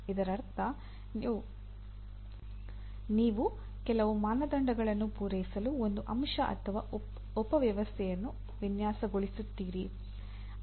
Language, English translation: Kannada, That means you design a component or a subsystem to meet certain standards